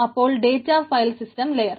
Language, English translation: Malayalam, so database file system layer